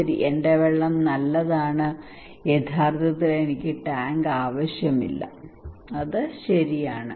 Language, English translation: Malayalam, Okay, my water is good actually I do not need tank, so he left okay